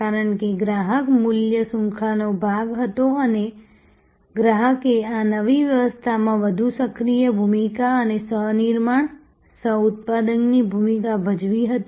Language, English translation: Gujarati, Because, customer was very much part of the value chain often and the customer played a much more proactive role and co creation, coproduction role in this new dispensation